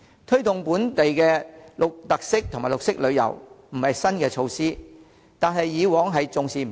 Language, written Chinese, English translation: Cantonese, 推動本地特色及綠色旅遊不是新措施，但政府以往重視不夠。, To promote local featured tourism and green tourism is not a new initiative but the Government did not attach enough importance to it in the past